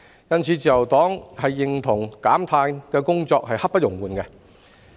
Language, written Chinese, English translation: Cantonese, 因此，自由黨認同減碳工作刻不容緩。, Therefore the Liberal Party agrees that carbon reduction efforts admit of no delay